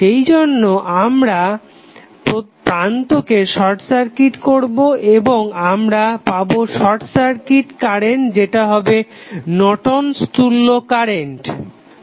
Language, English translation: Bengali, So, that is why when we short circuit the terminal we get the Norton's current is nothing but short circuit current